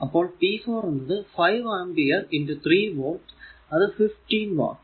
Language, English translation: Malayalam, So, it will be p 4 will be 5 ampere into 3 volt so, 15 watt